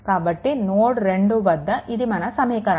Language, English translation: Telugu, So, at node 2 this is that equation right